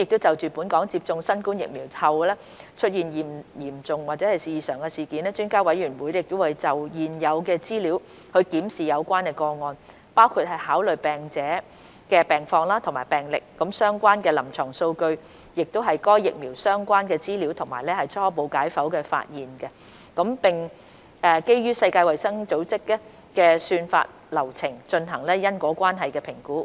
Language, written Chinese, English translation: Cantonese, 就本港接種新冠疫苗後出現的嚴重異常事件，評估專家委員會會就現有的資料檢視有關個案，包括考慮病者的病況及病歷、相關臨床數據、該疫苗相關的資料及初步解剖發現，並基於世衞的算法流程進行因果關係評估。, Regarding the serious adverse events following COVID - 19 vaccination in Hong Kong the Expert Committee would review the cases having regard to available information including the medical conditions and history of the patient as well as the relevant clinical data available information related to the vaccine and preliminary autopsy findings and conduct causality assessment based on the algorithm of WHO